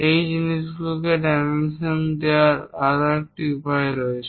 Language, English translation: Bengali, There is other way of showing these dimension